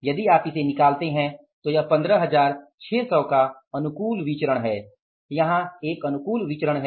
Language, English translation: Hindi, If you find it out, 15,600 is the favorable variance